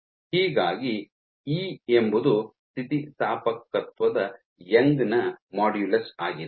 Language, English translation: Kannada, So, E is the Young’s modulus of elasticity